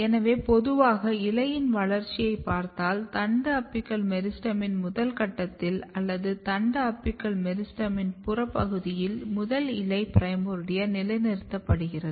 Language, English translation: Tamil, So, in general if you look the development of leave so what happen in the first step in the shoot apical meristem or at the peripheral region of the shoot apical meristem the first leaf primordia is positioned